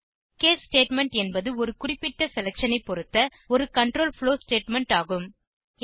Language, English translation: Tamil, The case statement is a control flow statement based on a particular selection